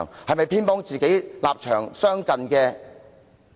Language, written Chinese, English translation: Cantonese, 是否偏幫與自己立場相近的人？, Is he biased in favour of people whose position is similar to his?